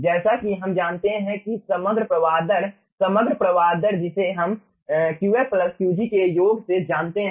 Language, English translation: Hindi, overall flow rate we know from summation of qf plus qg